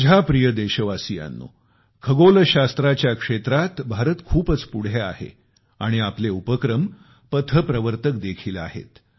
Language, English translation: Marathi, My dear countrymen, India is quite advanced in the field of astronomy, and we have taken pathbreaking initiatives in this field